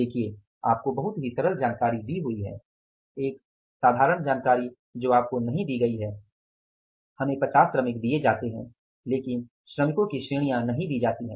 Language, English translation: Hindi, See you are given the very plain information, simple information, you are not given, we are given the 50 workers but the categories of the workers are not given to us